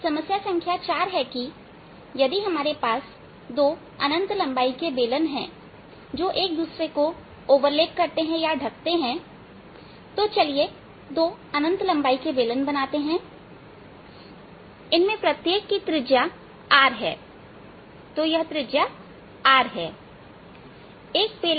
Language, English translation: Hindi, problem number four states: if we have two infinitely long overlapping cylinders, so let's make two infinitely long overlapping cylinders, of each of radius capital r